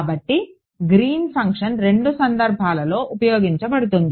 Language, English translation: Telugu, So, Green’s function is used in both cases